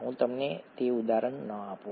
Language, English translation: Gujarati, Let me not give you that example